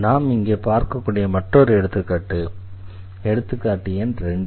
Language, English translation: Tamil, Another example which we can look here, so this is the example number 2